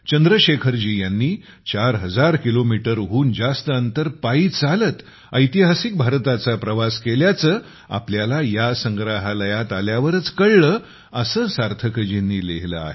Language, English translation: Marathi, Sarthak ji also came to know only after coming to this museum that Chandrashekhar ji had undertaken the historic Bharat Yatra, walking more than 4 thousand kilometers